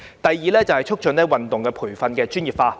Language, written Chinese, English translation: Cantonese, 第二，促進運動員培訓專業化。, Second facilitate the professionalization of athlete training